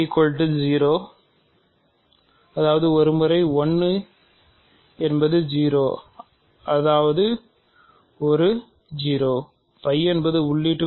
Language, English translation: Tamil, So, let us first of all 0 is there